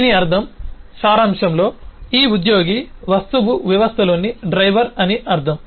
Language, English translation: Telugu, which means, in essence, it means that these employee object is kind of the driver in the system